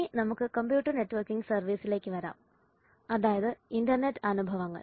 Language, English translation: Malayalam, next we come to the computer networking service the internet experience